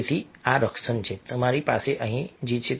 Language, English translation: Gujarati, so this is the protection you have over here